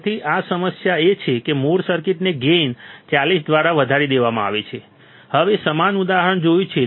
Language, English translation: Gujarati, So, this problem is that the gain of the original circuit is increased to be by 40, you have seen a similar example